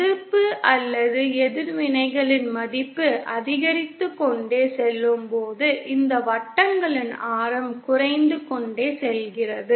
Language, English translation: Tamil, As the resistance or reactants value goes on increasing, the radius of these circles keep on decreasing